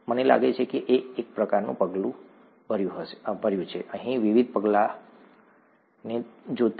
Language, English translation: Gujarati, I think I’ve kind of step, given the various steps here